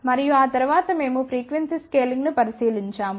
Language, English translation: Telugu, And after that we looked into frequency scaling